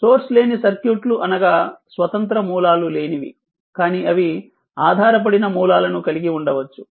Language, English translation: Telugu, So, source free circuits are free of independent sources, but they may have dependent sources